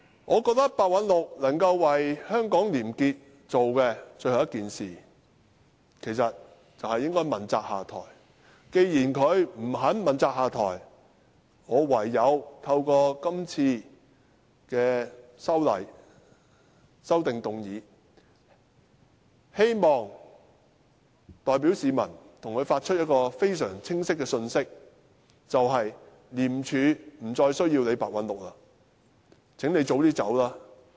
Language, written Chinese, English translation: Cantonese, 我認為白韞六可以為香港廉潔做的最後一件事，便是問責下台，而既然他不肯問責下台，我唯有透過今次的修正案，希望代表市民向他發出一個相當清楚的信息，便是廉署不再需要白韞六，請他早點離開吧。, I think the last thing that Simon PEH can do for the probity of Hong Kong is to step down as a show of accountability . Since he refused to take responsibility and step down I can only propose this amendment to put across to him on behalf of the public the clear message that ICAC no longer needs Simon PEH and he should leave early . For the sake of probity in Hong Kong and ICAC we urge Simon PEH to leave ICAC as early as possible